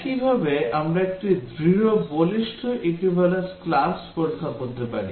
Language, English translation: Bengali, Similarly, we can have a Strong Robust Equivalence Class Testing